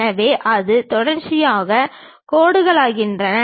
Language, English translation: Tamil, So, those becomes continuous lines